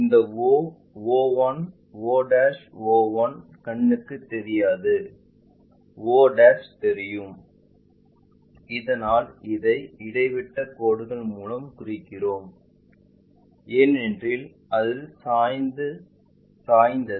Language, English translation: Tamil, This o, o 1, o', o one'; o 1' is invisible, o' is visible that is a reason we show it by dash dot line because it is slightly inclined